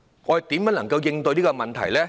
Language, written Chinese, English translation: Cantonese, 我們應怎樣應對這個問題？, How should we address this problem?